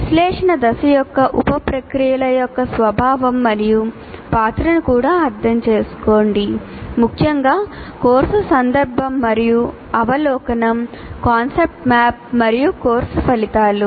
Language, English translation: Telugu, And also understand the nature and role of sub processes of analysis phase, particularly course context and overview, concept map and course outcomes